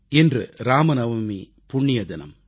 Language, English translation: Tamil, Today is the holy day of Ram Navami